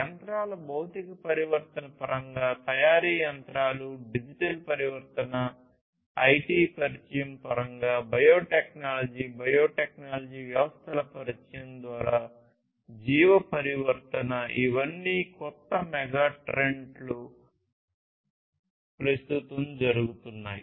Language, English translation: Telugu, So, trends in terms of physical transformation of machinery, manufacturing machinery, digital transformation in terms of the introduction of IT, biological transformation through the introduction of biotechnology, biotechnological systems, all of these are newer megatrends that are happening at present